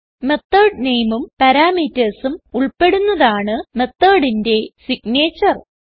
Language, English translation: Malayalam, The method name and the parameters forms the signature of the method